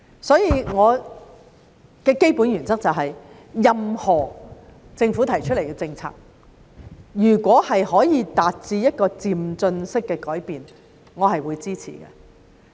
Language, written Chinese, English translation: Cantonese, 所以，我的基本原則是任何政府提出的政策如果可以達致漸進式的改變，我是會支持的。, So my basic principle is that if any government policy can achieve changes under an incremental approach I will throw weight behind it